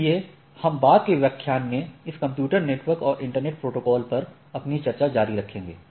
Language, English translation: Hindi, So, we will continue our discussion on this computer network and internet protocols in the subsequent lecture